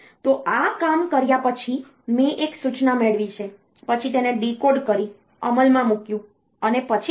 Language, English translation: Gujarati, So, after this work like I have fetched one instruction decoded it, executed it, then what